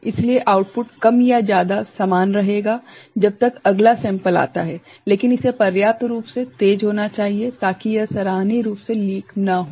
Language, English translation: Hindi, So, the output will be more or less remain same till the next sample comes ok, but it need to be adequately fast, so that it does not leak appreciably